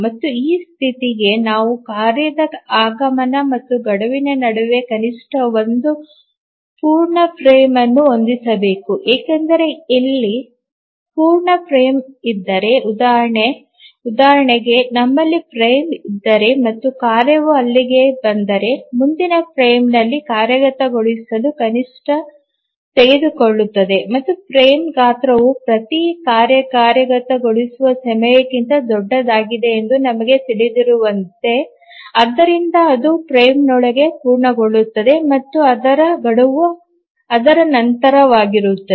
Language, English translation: Kannada, Because if there is a full frame existing here, let's say we have a frame here, then if the task arrives here, then it can at least be taken up execution in the next frame and we know that the frame size is larger than every task execution time and therefore it will complete within the frame and its deadline is after that